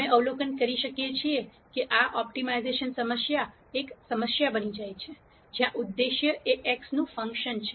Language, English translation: Gujarati, We observe that this optimization problem becomes a problem, where the objective is a function of x